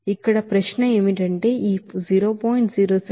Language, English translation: Telugu, Now, question is that why this 0